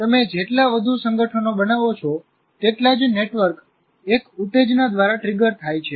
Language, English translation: Gujarati, The more associations you create, more networks get triggered by one stimulus